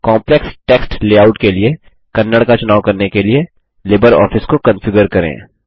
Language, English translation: Hindi, Configure LibreOffice to select Kannada for Complex Text layout